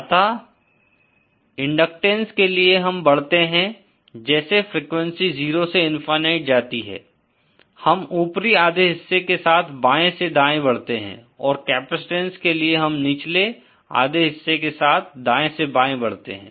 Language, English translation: Hindi, So, for inductance we move fromÉ As the frequency goes from 0 to Infinity, we move from the left to the right along the top half portion and for the capacitance we move from the right to the left along the bottom half